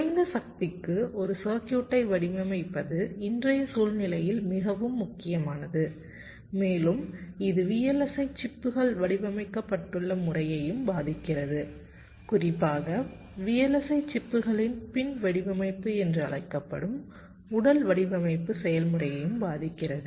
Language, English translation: Tamil, ah, as you know, designing a circuits for low power has become so much very important in the present day scenario and it also affects the way vlsi chips are designed and also, in particular, the physical design process, the so called back end design of the vlsi chips, the way they are done today